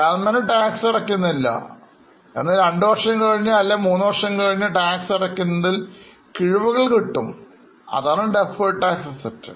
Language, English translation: Malayalam, But, government gives you some benefits which you can use after two years, after three years, benefit of remission of tax or reduction of tax that is called as a deferred tax asset